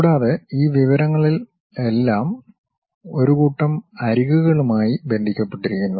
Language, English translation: Malayalam, And, all this information is related to set of edges